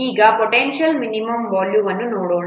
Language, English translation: Kannada, Now let's see potential minimum volume